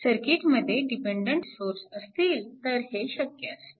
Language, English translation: Marathi, So, and this is possible in a circuit with dependent sources